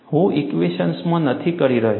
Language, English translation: Gujarati, I am not getting into the equations